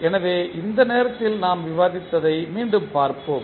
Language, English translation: Tamil, So, let us recap what we discussed at that time